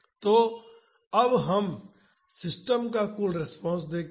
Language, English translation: Hindi, So, now, let us see the total response of the system